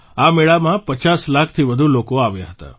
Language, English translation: Gujarati, More than 50 lakh people came to this fair